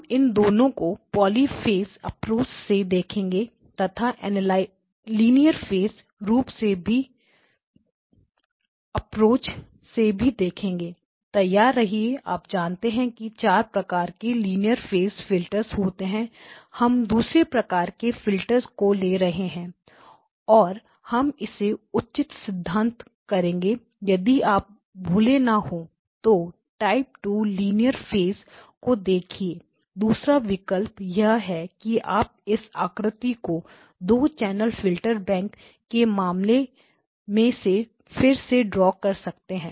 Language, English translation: Hindi, So, we will look at it both from the poly phase approach and from the linear phase approach so quickly brush up your you know there are 4 types of linear phase filters we will be looking at type 2 linear phase filters and we will justify why, so in case you are not forgotten that just look at what type 2 linear phase looks like the other option is can you redraw this figure the 2 channel filter bank case